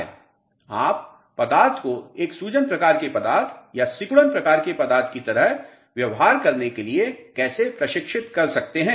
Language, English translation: Hindi, How you are going to train the material to behave like a swelling type of a material or a shrinkage type of material